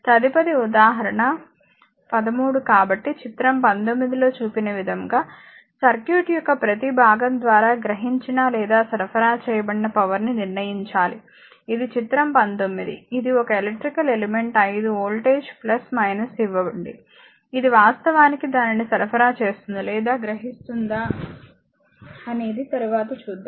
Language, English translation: Telugu, Next example 13 so, you have to determine the power absorbed or supplied by each component of the circuit as shown in figure 19, this is figure 19 this is one electrical element is 5 voltage give plus minus, it actually either supply it or a absorbed we will see later